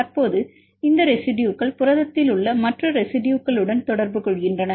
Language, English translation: Tamil, Currently this residues making contacts with other residues in the protein